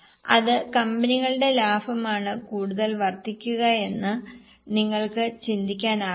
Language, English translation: Malayalam, Can you just think which company's profit will increase more